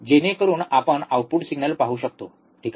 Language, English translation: Marathi, So, that we can see the output signal, alright